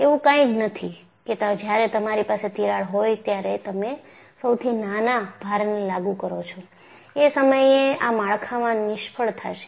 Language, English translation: Gujarati, So, it is not that, when you have a crack, when you apply even smallest load, this structure is going to fail